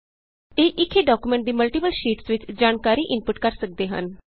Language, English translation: Punjabi, These can input information into multiple sheets of the same document